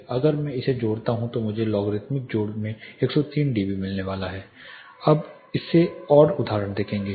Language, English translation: Hindi, Now if I add this I am going to get 103 dB in the logarithmic addition we will look more examples of it